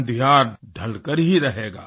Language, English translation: Hindi, The darkness shall be dispelled